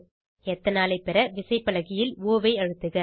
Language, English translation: Tamil, To obtain Ethanol, press O on the keyboard